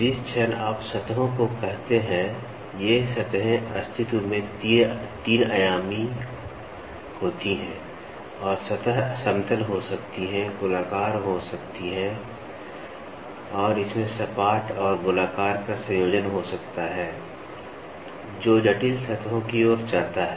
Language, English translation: Hindi, Moment you say surfaces, these surfaces are 3 dimensional in existence and the surfaces can be flat, can be circular and it can have a combination of flat and circular, which leads to complex surfaces